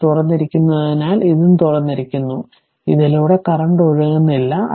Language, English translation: Malayalam, So, as as this is open, this is also open, so no current flowing through this